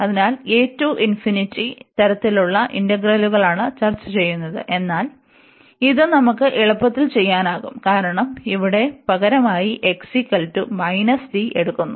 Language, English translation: Malayalam, So, this a to infinity type of integrals we are discussing, but this also we can easily b, because we can substitute for example here x is equal to minus t